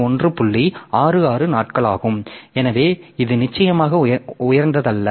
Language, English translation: Tamil, 66 days so which is definitely not that high